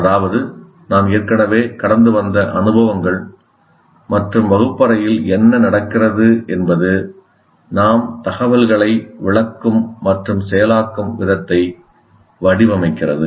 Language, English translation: Tamil, That means these experiences through which we have gone through already and whatever there is going on in the classroom, they shape the way we interpret and process information